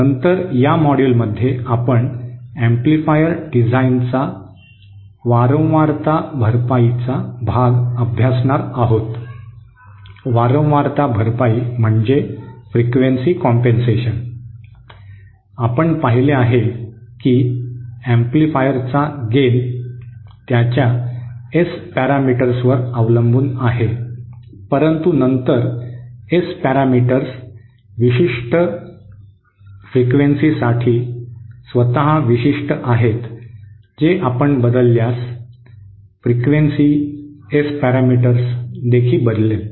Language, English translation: Marathi, Later in this module we will be covering the frequency compensation part of amplifier design that is, we saw that the gain of an amplifier is dependent on its S parameters, but then S parameters themselves are specific for a particular frequency that is, if you change the frequency, the S parameters also will change